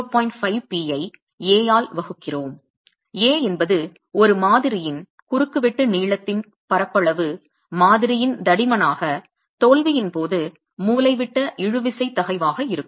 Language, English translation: Tamil, 5p divided by A, A being the area of cross section length of the specimen into the thickness of the specimen as the diagonal tensile stress at failure